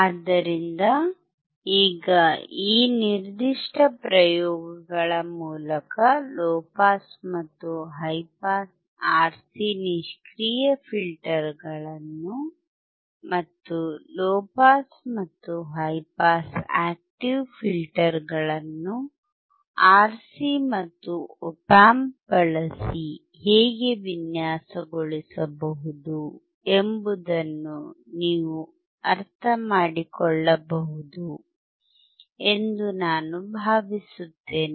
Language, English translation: Kannada, So now with this particular set of experiments, I hope that you are able to understand how you can design a low pass and high pass RC filters that is passive filters, and low pass and high pass active filters that is RC and op amp